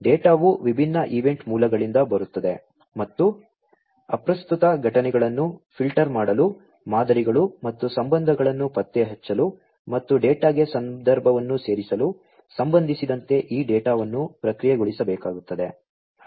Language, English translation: Kannada, Data come from different event sources and this data will have to be processed, with respect to filtering out irrelevant events, with respect to detecting patterns and relationships, and adding context to the data